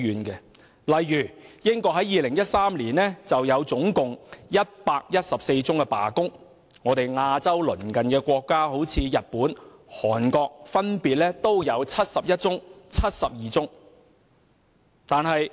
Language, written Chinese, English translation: Cantonese, 舉例而言，在2013年，英國就有114宗罷工，而日本和韓國這兩個鄰近我們的亞洲國家，亦分別有71宗和72宗。, For example in 2013 114 strikes took place in the United Kingdom and there were 71 and 72 strikes respectively in Japan and South Korea two of our neighbouring Asian countries